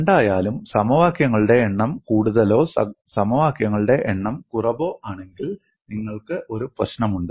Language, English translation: Malayalam, In either case, whether the number of equations is more or number of equations is less, you have a problem